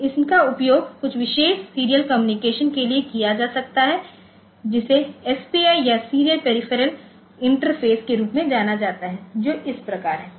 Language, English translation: Hindi, So, these are used for say some special communication serial communication which is known as SPI or serial peripheral interface, which is like this